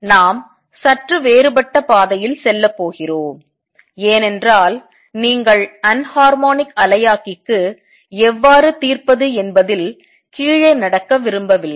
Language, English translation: Tamil, We are going to take a slightly different route because I do not want you to get walked down on how to solve for anharmonic oscillator